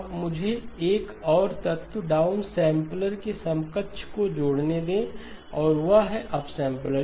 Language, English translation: Hindi, Now let me also add one more element, the counterpart of the down sampler, and that is the upsampler